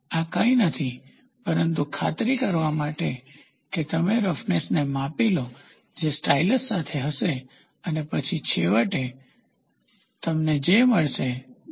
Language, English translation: Gujarati, This is nothing, but to make sure see this you measure the roughness which will be with a stylus and then finally, what you get will be stylus with a data like this